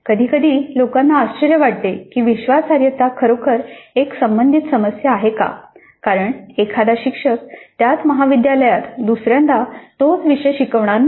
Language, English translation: Marathi, Now sometimes people do wonder whether reliability is really a relevant issue because a teacher may not teach the same course second time in the same college